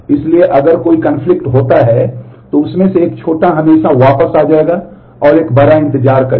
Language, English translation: Hindi, So, if there is a conflict, then the younger one in that will always roll back, and the older one will wait